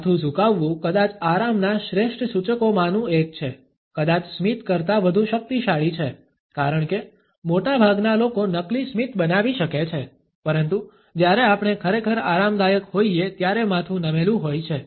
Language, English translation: Gujarati, Head tilt is probably one of the best indicators of comfort um, probably more powerful than a smile, because most people can fake a smile, but head tilt we reserved for when we are truly comfortable